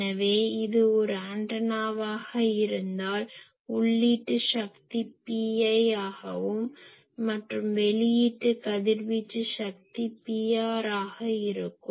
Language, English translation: Tamil, So, if this is an antenna , the input power is p i and it is output is a radiated power p r